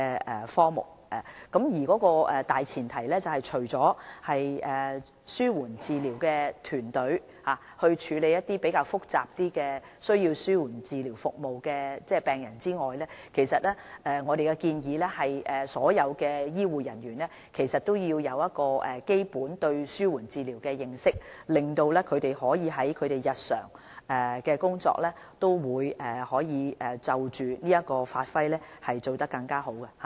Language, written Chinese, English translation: Cantonese, 我們的大前提，是由紓緩治療團隊處理情況較複雜而需要紓緩治療服務的病人，而我們的建議是所有醫護人員皆需要對紓緩治療有基本認識，讓他們在日常工作中可以在這方面發揮得更好。, Our overriding principle is for the palliative care team to take care of patients with complex palliative care needs and according to our proposal all health care colleagues have to acquire a basic understanding of the concepts and principles of palliative care so as to perform even better in this area in their daily work